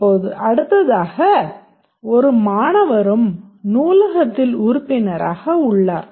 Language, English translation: Tamil, Every student is a member of the library